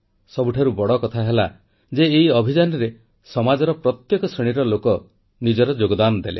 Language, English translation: Odia, And the best part is that in this campaign, people from all strata of society contributed wholeheartedly